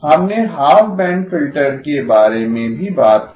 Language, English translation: Hindi, We also talked about half band filter